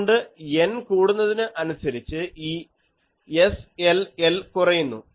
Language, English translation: Malayalam, So, as N increases, this SLL decreases